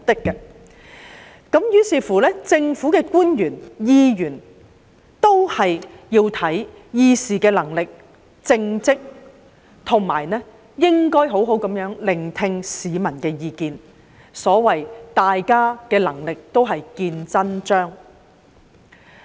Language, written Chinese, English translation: Cantonese, 於是，政府官員、議會議員也要看議事能力、看政績，亦要好好聆聽市民的意見，屆時大家的能力便會"見真章"。, Hence government officials and Council Members will have to count on their debating ability and performance . And they will also have to listen carefully to public views . Our capabilities will then be shown unreservedly